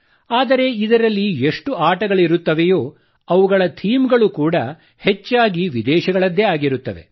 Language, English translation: Kannada, But even in these games, their themes are mostly extraneous